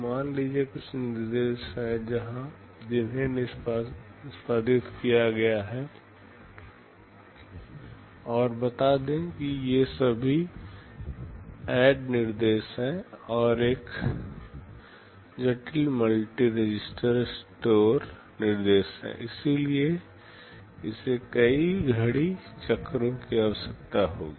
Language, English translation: Hindi, Suppose, there are some instructions that are executed and let us say these are all ADD instructions, and there is one complex multi register store instruction